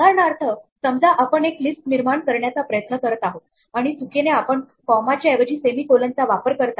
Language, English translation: Marathi, For example, supposing we try to create a list and by mistake we use a semicolon instead of a comma